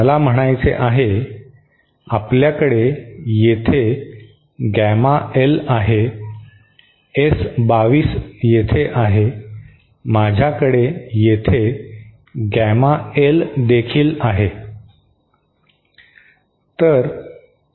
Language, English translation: Marathi, What I mean is, we now have gamma L here, S22 here, I also have gamma L here